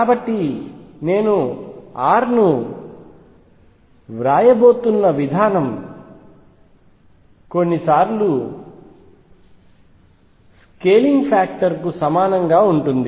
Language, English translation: Telugu, So, the way I rescale is I am going to write r is equal to some scaling factor a times x